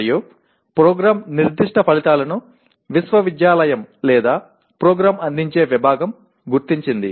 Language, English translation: Telugu, And Program Specific Outcomes identified by the university or the department offering the program